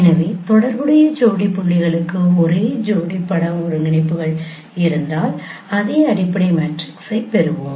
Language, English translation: Tamil, So if you have same pairs of image coordinates for the corresponding pairs of points, you will get the same fundamental matrix